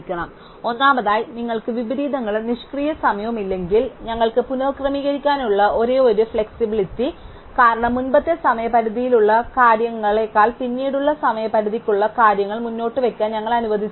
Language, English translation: Malayalam, So, first of all if you have no inversions and no idle time then the only flexibility we have is to reorder, because we not allowed to put things with later deadlines ahead of things with earlier deadlines